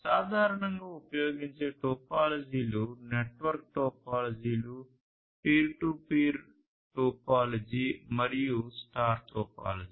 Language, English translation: Telugu, And, the topologies that are typically used are network topologies such as the peer to peer topology, the store star topology and so on